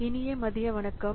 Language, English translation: Tamil, Okay, good afternoon